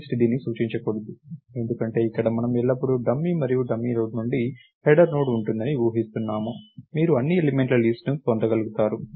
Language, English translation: Telugu, myList should not point to this because, here we are assuming that there is always a header Node which is dummy and the from the dummy Node, you should be able to get a list of all the elements